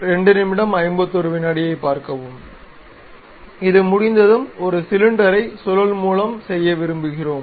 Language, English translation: Tamil, Once it is done, we would like to revolve a cylinder